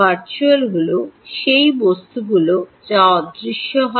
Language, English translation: Bengali, virtual are those objects which are intangible